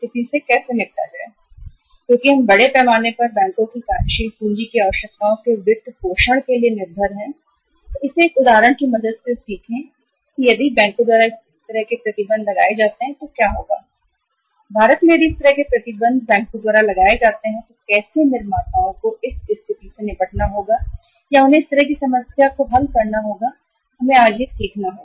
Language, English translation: Hindi, We will again learn it with the help of an example that if this kind of restrictions are imposed by the banks because we are largely depending upon the banks for funding the working capital requirements in India so if this kind of restrictions sometime are imposed by the banks then how the manufacturers have to deal with this situation or how they have to solve this kind of the problem we will have to learn this today